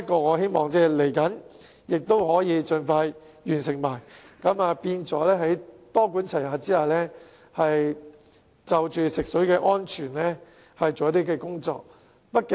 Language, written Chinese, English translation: Cantonese, 我希望接下來可以盡快完成審議，多管齊下就食水安全進行工作。, I hope that we can expeditiously complete our scrutiny as the next step and proceed with the task of ensuring the safety of drinking water under a multi - pronged approach